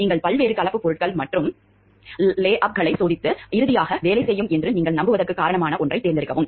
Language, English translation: Tamil, You test several different composite materials and lay ups and finally, choose one that you have reason to believe will work